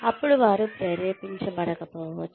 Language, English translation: Telugu, Then, they may not motivate